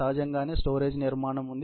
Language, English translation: Telugu, Obviously, there is a storage structure